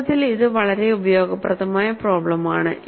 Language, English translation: Malayalam, In fact, it is a very useful problem